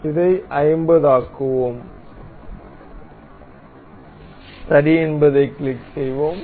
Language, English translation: Tamil, Let us make it 50 and we will click ok